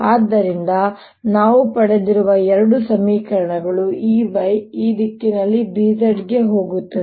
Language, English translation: Kannada, so the two equations that we've obtained are for this e, y going in this direction